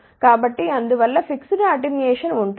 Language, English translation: Telugu, So, hence there will be a fixed attenuation